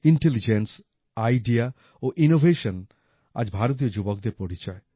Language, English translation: Bengali, 'Intelligence, Idea and Innovation'is the hallmark of Indian youth today